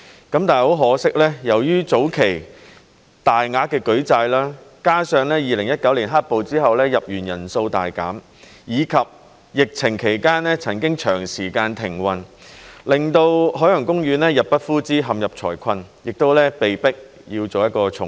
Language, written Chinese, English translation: Cantonese, 但很可惜，由於早期大額的舉債，加上2019年"黑暴"之後入園人數大減，以及疫情期間曾經長時間停運，令到海洋公園入不敷支，陷入財困，被迫要重組。, But unfortunately due to the substantial amount of debt raised in the early days the drastic fall in the number of visitors to the park after the black - clad riots in 2019 coupled with the prolonged suspension of operation during the epidemic OP is forced to undergo restructuring since it has failed to make ends meet and therefore run into financial difficulties